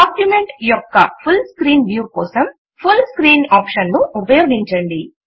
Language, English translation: Telugu, Use the Full Screenoption to get a full screen view of the document